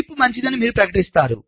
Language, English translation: Telugu, you declare the chip is good